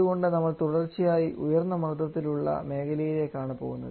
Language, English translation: Malayalam, So we have to move towards a continuously high pressure zone which problem is not here